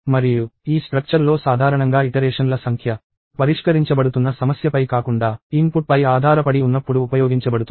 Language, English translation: Telugu, And this structure is usually used when the number of iterations is dependent on the input and not on the problem being solved